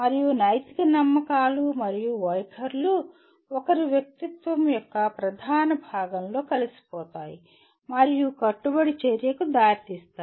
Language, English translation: Telugu, And moral beliefs and attitudes are integrated into the core of one’s personality and lead to committed action